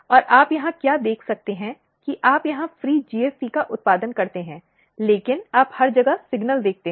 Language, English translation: Hindi, And what you can see here that if you produce free GFP here, but you see signal everywhere